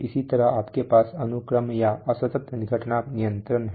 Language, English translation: Hindi, Similarly you have sequence or discrete event control